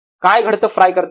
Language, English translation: Marathi, what happens in frying